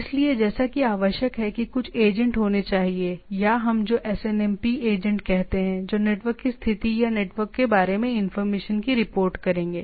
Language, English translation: Hindi, So, as it requires there should be some agents or what we say SNMP agents who will be reporting the status of the network or information about the network